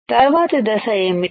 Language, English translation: Telugu, what is the next step